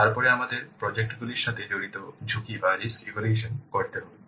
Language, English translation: Bengali, Then we have to assess the risks involved with the projects